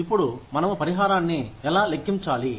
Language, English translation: Telugu, Now, how do we calculate compensation